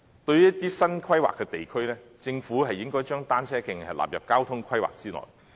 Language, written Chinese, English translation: Cantonese, 對於一些新規劃的地區，政府應該將單車徑納入交通規劃之內。, Insofar as some newly planned districts are concerned the Government should include cycle tracks in its transport planning